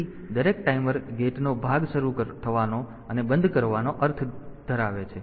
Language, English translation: Gujarati, So, gate part every timer has a mean of starting and stopping